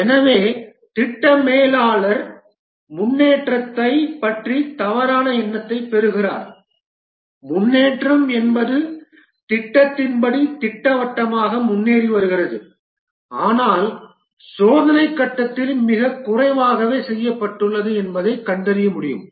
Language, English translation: Tamil, So the project manager gets a false impression of the progress that the progress is the project is proceeding nicely according to the plan but during the testing phase finds out that very little has been done